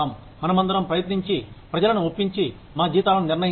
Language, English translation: Telugu, Let us all, try and convince people, who are deciding our salaries